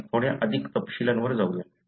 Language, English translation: Marathi, We will go to little more details